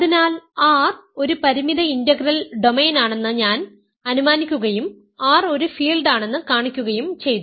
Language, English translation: Malayalam, So, I have assumed that R is a finite integral domain and showed that R is a field